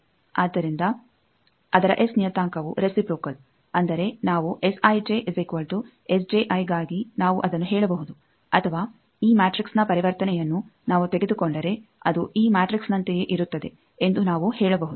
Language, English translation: Kannada, So, its S parameter is reciprocal; that means, if we take for S I j is equal to S j I we can say that or we can also say that if we take the transition of this matrix that will be same as this matrix